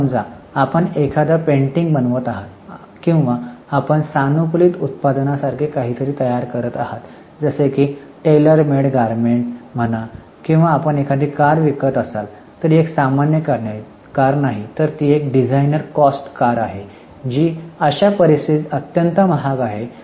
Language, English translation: Marathi, So, suppose you are making a painting or you are making something like customized product like say tailor made garment or if you are selling a car but it's not a normal car, it's a designer car which is extremely costly